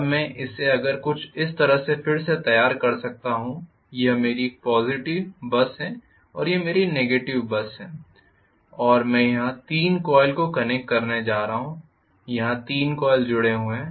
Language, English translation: Hindi, Now I can redraw this somewhat like this that this is my positive bus and this is my negative bus and I am going to have 3 coils connected here 3 coils connected here